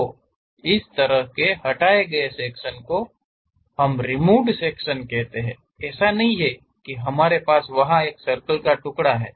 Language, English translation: Hindi, So, such kind of representation what we call removed sections; it is not that we have a slice of circle there